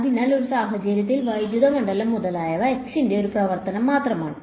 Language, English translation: Malayalam, So, in that case electric field etcetera is just a function of x